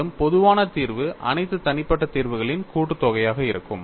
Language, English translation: Tamil, And the most general solution is the sum of all these solutions